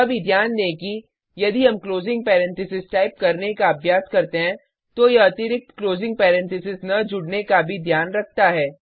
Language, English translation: Hindi, Also note that if we are accustomed to type the closing parenthesis also, then it takes care of it by not adding the extra closing parenthesis